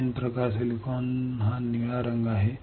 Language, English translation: Marathi, N type silicon is this blue colour blue colour